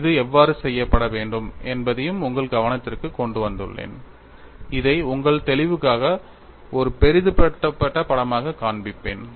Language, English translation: Tamil, I have already explained; I have also brought your attention how it should be done and I would show this as a magnified picture for your clarity